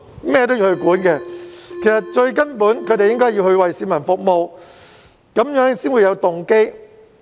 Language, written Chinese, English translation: Cantonese, 其實他們最根本的任務應該是為市民服務，這樣才會有動機。, But in fact their fundamental mission is to serve the people which will motivate them